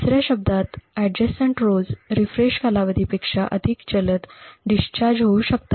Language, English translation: Marathi, In other words the adjacent rows would actually discharge much more faster than the refresh period